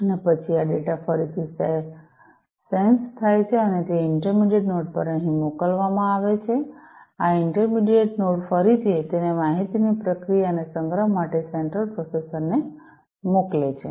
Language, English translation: Gujarati, And then this data again is sensed is sensed and is sent over here to that intermediate node, this intermediate node again sends it to the central processor for further processing and storage this information